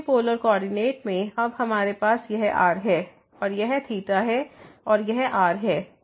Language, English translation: Hindi, Because in the polar coordinate, now we have this and this is theta and this is